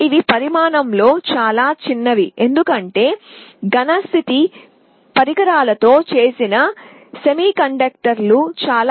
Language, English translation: Telugu, These are much smaller in size because the semiconductor made of solid state devices, they are very small